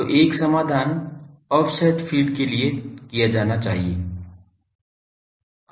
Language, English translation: Hindi, So, one solution is to go for an offset feed